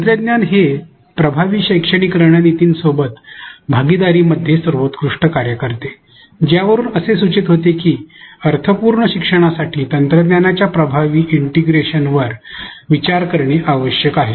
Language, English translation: Marathi, Technology works best in partnership with effective pedagogical strategies which implies that we need to consider effective integration of technology for meaningful learning